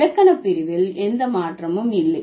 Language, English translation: Tamil, So, there is no change in the grammatical category